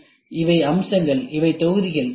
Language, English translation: Tamil, So, these are the features, these are the modules